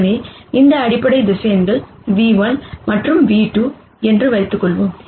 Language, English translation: Tamil, So, let us assume these basis vectors are nu 1 and nu 2